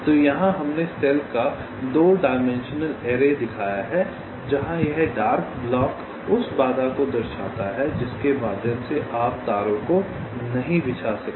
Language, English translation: Hindi, here we have showed a two dimensional array of cell where this dark block represent the obstacle through which we cannot